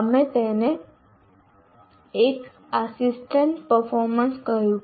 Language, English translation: Gujarati, So we called it 1 minus assisted performance